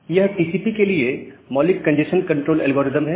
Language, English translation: Hindi, So, here is the basic congestion control algorithm for TCP